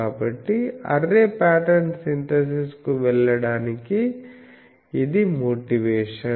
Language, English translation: Telugu, So, this is the motivation for going to array pattern synthesis